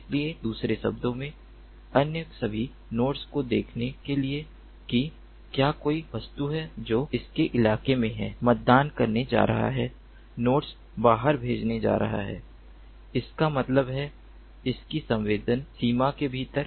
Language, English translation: Hindi, so in other words, the nodes are going to send out, are going to poll all the all the other nodes to see if there is any object that is there in their locality, that means within their sensing range